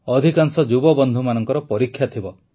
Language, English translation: Odia, Most of the young friends will have exams